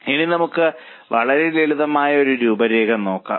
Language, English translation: Malayalam, Now let us look at a very simple illustration